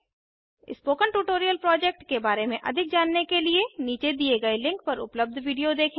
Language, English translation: Hindi, Example: 11010 = 26 To know more about the Spoken Tutorial project, watch the video available at the following link